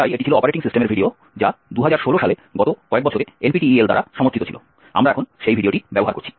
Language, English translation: Bengali, So that was the operating systems videos which have been supported by NPTEL on the last few years in 2016, we are using that video now, thank you